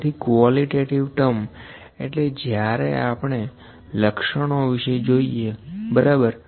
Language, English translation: Gujarati, So, qualitative terms; qualitative is when we use attributes, ok